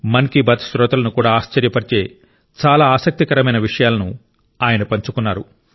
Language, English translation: Telugu, He has shared very interesting facts which will astonish even the listeners of 'Man kiBaat'